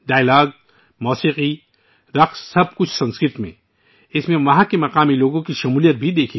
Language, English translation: Urdu, Dialogues, music, dance, everything in Sanskrit, in which the participation of the local people was also seen